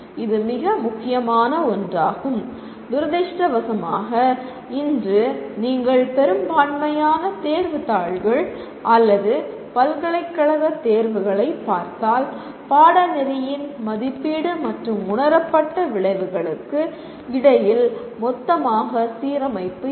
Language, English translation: Tamil, This is one of the very important properties and unfortunately today if you look at majority of the test papers or the university exams, there is a total lack of alignment between the assessment and at least perceived outcomes of the course